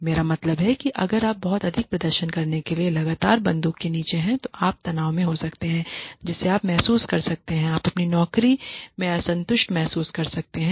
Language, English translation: Hindi, I mean if you are you know constantly under the gun to perform very highly then you could be under stress you could feel; you could feel dissatisfied with your job